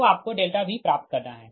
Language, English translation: Hindi, so next is your v four f